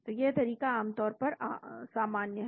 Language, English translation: Hindi, So, this approach is generally common